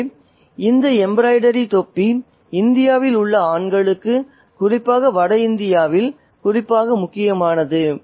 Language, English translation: Tamil, So, this embroidered cap is particularly important for the men in India, especially in North India